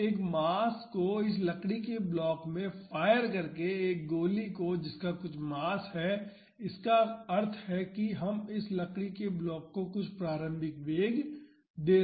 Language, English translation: Hindi, So, by firing a mass a bullet which has some mass into this wooden block means we are giving some initial velocity to this wooden block